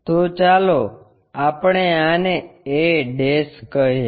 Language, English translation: Gujarati, So, let us call this' as a'